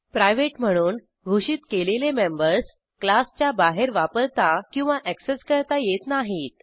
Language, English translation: Marathi, Private specifier The members declared as private cannot be used or accessed outside the class